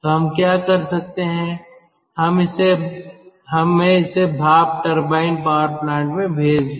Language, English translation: Hindi, we are sending it to a steam turbine power plant